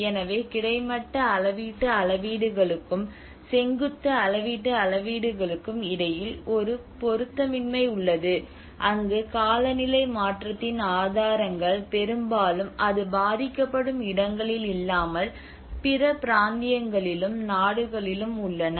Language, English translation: Tamil, So there is also a mismatch between the horizontal scales and vertical scales where the sources of climate change often lie in other regions and countries then where it is affects are shown